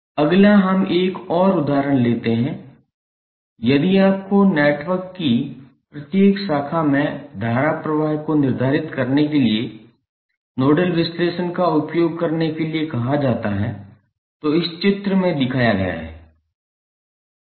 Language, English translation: Hindi, Next let us take another example, if you are asked to use nodal analysis to determine the current flowing in each branch of the network which is shown in this figure